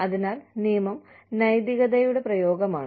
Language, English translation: Malayalam, So, law is an application of ethics